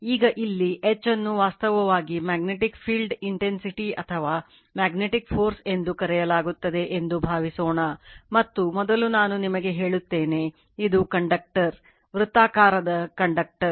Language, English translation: Kannada, Now, this is suppose here now H is actually called magnetic field intensity or magnetic force, and first let me tell you, this is a conductor right, this is a conductor circular conductor